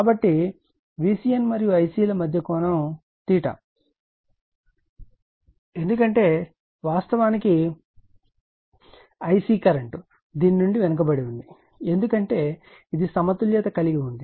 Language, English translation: Telugu, So, angle between V c n and I c is theta , because I c actually current is lagging from this one because it is balance say you have taken balance